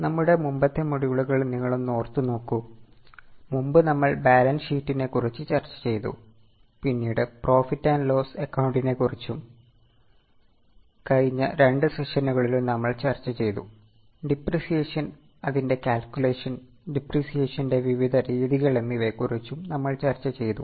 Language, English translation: Malayalam, Earlier we have discussed about balance sheet, we have also discussed about profit and loss account and in the last two sessions we have discussed about depreciation, its calculation and various methods of depreciation as well